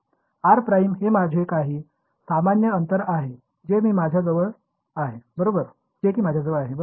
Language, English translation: Marathi, R prime is some general distance right this is what I have